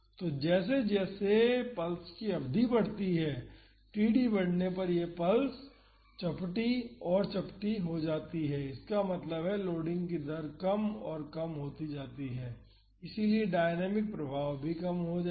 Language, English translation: Hindi, So, as the duration of the pulse increases as td increases this sine pulse becomes flatter and flatter; that means, rate of loading is lower and lower so, the dynamic effects will also come down